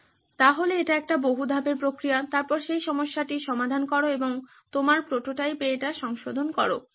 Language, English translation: Bengali, So this is a multi step process then solve that problem and modify that in your prototype